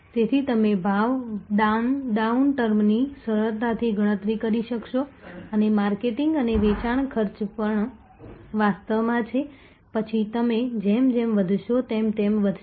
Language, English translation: Gujarati, So, that you are able to easily count of the price down term and the marketing and the sales expenses are also actually then take to rise as you grow